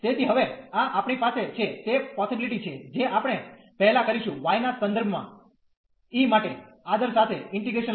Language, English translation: Gujarati, So, having this now we have the possibilities that we first take the integral with respect to y